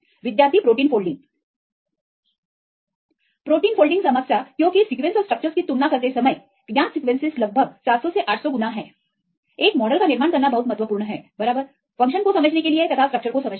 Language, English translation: Hindi, Protein folding problem because comparing the sequences and structures right known sequences are around 700 to 800 fold compared to the structures, it is very important to build a model right also structures are important to understand the function